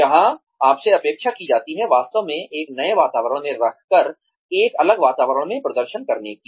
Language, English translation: Hindi, Where you are expected, to perform in a different environment, by being actually put in a new environment, yourself